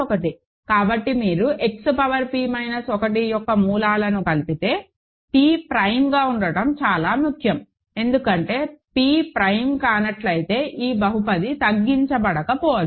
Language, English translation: Telugu, So, if you adjoined the roots of X power p minus 1, p being prime is very important, because this polynomial may not be irreducible if p is not a prime, as an example